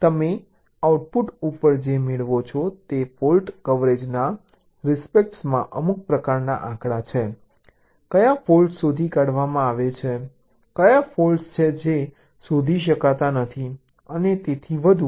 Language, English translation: Gujarati, so what you get at the output is some kind of statistics with respect to fault coverage: which are the faults that are detected, which are the faults which are not getting detected, and so on